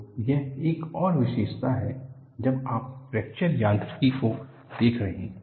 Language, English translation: Hindi, So, this is another specialty when you are looking at fracture mechanics